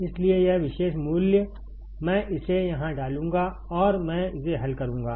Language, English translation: Hindi, So, this particular value, I will put it here and I will solve it